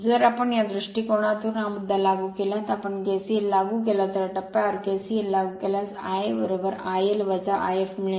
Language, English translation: Marathi, So, if we apply at this look at that cursor at this point we apply KCL right, you apply KCL at this point you will get your I a is equal to I l minus I f right